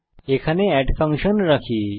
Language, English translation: Bengali, Here we call the add function